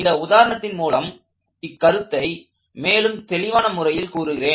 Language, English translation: Tamil, And I want to let this example bring that concept to you in a slightly more clearer fashion